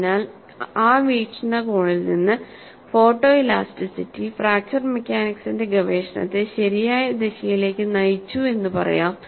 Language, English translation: Malayalam, So, from that point of view, photo elasticity has indeed propelled the research of fracture mechanics in the right direction